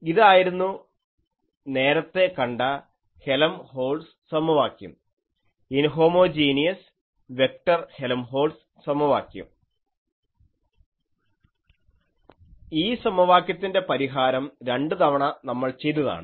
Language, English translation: Malayalam, This was the Helmholtz equation inhomogeneous vector Helmholtz equation earlier